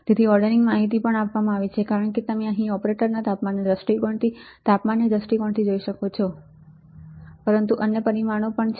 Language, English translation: Gujarati, So, to the ordering information is also given as you can see here right from the temperature point of view from the operator temperature point of view, but there are other parameters also